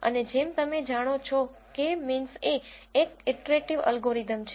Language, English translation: Gujarati, And as you know, K means is an iterative algorithm